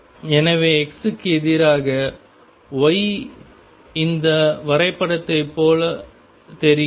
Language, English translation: Tamil, So, x versus y looks like this graph